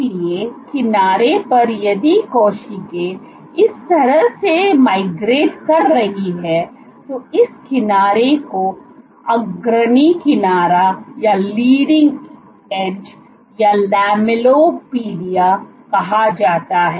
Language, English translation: Hindi, So, at the edge of the; so if the cell is migrating this way, then this edge is called the leading edge or Lamelliopodia